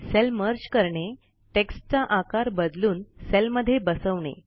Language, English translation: Marathi, Merging Cells.Shrinking text to fit the cell